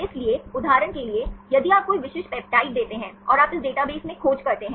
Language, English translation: Hindi, So, for example, if you give any specific peptides and you search in this any database